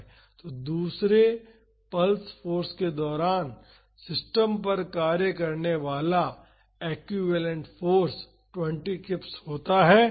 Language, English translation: Hindi, So, during the second pulse force the equivalent force acting on the system is 20 kips